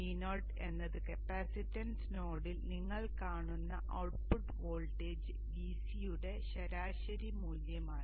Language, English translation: Malayalam, V0 is actually the average value of the output voltage VC which you see at the capacitance node